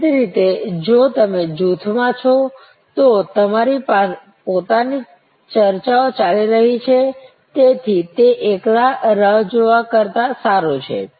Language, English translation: Gujarati, Obviously, if you are in a group, you have your own discussions going on, so it is much better than a solo wait